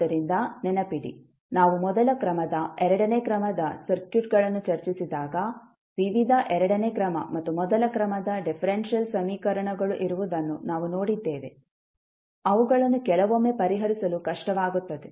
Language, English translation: Kannada, So, remember if we, when we discussed the first order, second order circuits, we saw that there were, various second order and first order differential equations, which are sometimes difficult to solve